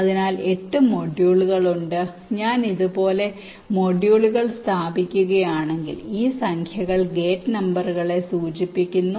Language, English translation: Malayalam, suppose if i place the modules like this, this numbers indicate the gate numbers